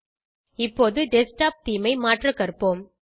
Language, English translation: Tamil, Lets learn to change the Desktop theme now